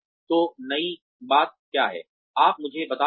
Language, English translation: Hindi, So, what is the new thing that, you are telling me